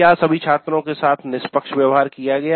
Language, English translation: Hindi, All the students were treated impartially